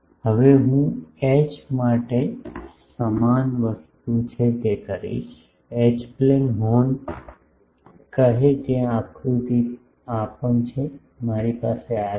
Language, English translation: Gujarati, Now, I will do what is the same thing for H, H plane horn say there also the diagram is this, I have this